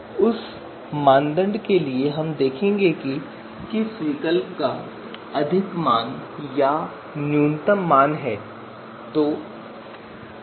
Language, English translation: Hindi, So for that criterion we will see which alternative is going to be is having the maximum value or minimum value